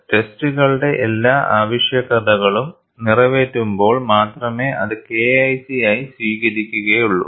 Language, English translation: Malayalam, Only when all the requirements of the test are met, it is accepted as K1C